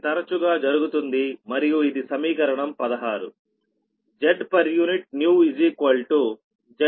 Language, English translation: Telugu, next is that this is equation sixteen